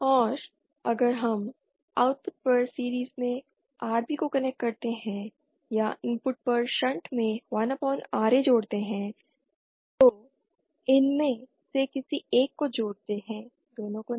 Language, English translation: Hindi, And if we connect Rb in series at the output or 1 upon Ra in shunt in the input , any one of this have to be done not both